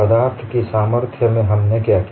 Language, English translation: Hindi, What we did in strength of materials